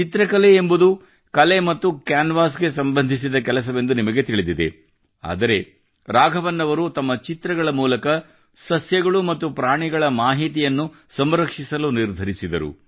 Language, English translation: Kannada, You know, painting is a work related to art and canvas, but Raghavan ji decided that he would preserve the information about plants and animals through his paintings